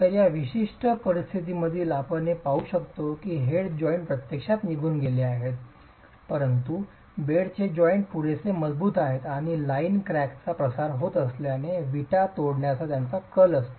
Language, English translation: Marathi, So in this particular case, we can see that the head joints have actually given way, but the bed joints are strong enough and tend to end up breaking the bricks as the line crack is propagating